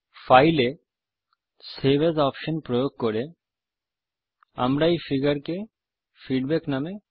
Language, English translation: Bengali, Using the save as option on file, we will save this figure as feedback